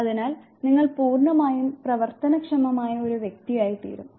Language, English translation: Malayalam, So, that you become a completely fully functional individual